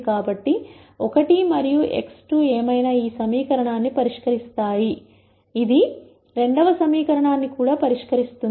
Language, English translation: Telugu, So, whatever 1 and x 2 will solve this equation will also solve the second equation